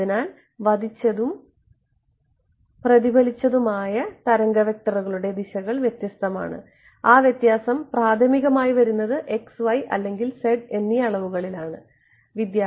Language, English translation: Malayalam, So, the directions of the incident and the reflected wave vector are different and that difference is primarily coming because of which dimension x, y or z